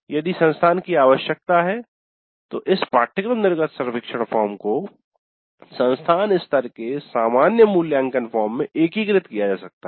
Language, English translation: Hindi, If the institute requires this course exit survey can be integrated into the institute level common evaluation form, that is okay